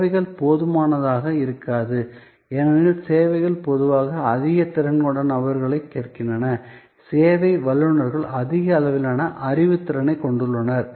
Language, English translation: Tamil, Services may not be good enough, because services usually ask for people of higher caliber, service professionals have higher level of knowledge competency